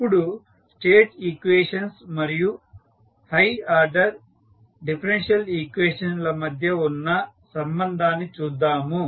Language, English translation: Telugu, Now, let us see the relationship between state equations and the high order differential equations